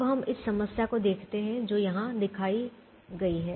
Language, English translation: Hindi, now let us look at a problem that is shown here